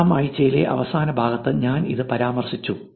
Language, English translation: Malayalam, I also mentioned this in the last part of the week 6